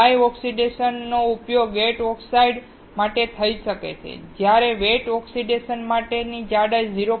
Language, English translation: Gujarati, Dry oxidation can be used for the gate oxides, while for wet oxidation, the thickness will be greater than 0